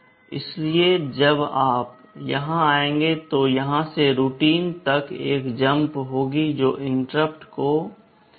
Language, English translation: Hindi, So, when you come here, there will be a jump from here to the routine which is handling the interrupt